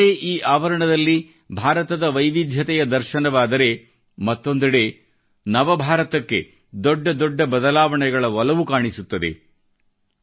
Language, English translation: Kannada, In these campuses on the one hand we see the diversity of India; on the other we also find great passion for changes for a New India